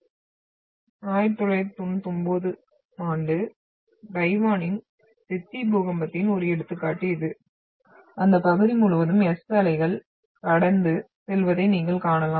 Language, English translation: Tamil, And this is one of the example of 1999 Chechi earthquake of Taiwan where you can see the passage of S wave across the area